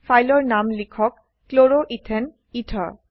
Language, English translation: Assamese, Enter the file name as Chloroethane ether